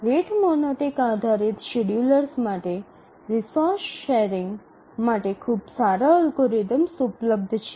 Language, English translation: Gujarati, We will see that for the rate monotonic best schedulers, very good algorithms are available for resource sharing